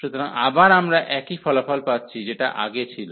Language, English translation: Bengali, So, again we are getting the similar result, which was earlier one